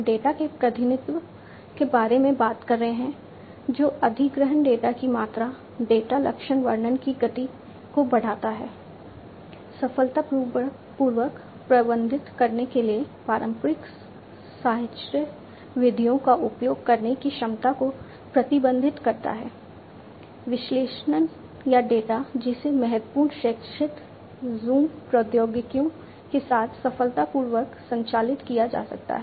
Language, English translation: Hindi, We are talking about representation of data of which acquisition speed the data volume, data characterization, restricts the capacity of using conventional associative methods to manage successfully; the analysis or the data, which can be successfully operated with important horizontal zoom technologies